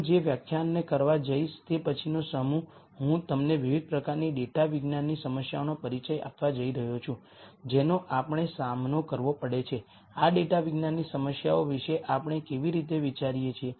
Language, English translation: Gujarati, The next set of lectures what I am going to do is I am going to introduce to you different types of data science problems that we encounter, how do we think about these data science problems